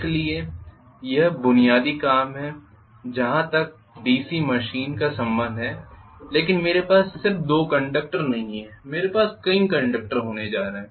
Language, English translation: Hindi, So this is the basic working as far as the DC machine is concerned, but I am not going to have just 2 conductors I am going to have multiple number of conductors